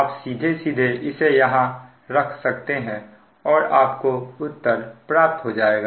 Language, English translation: Hindi, you can put it there and you will get this answer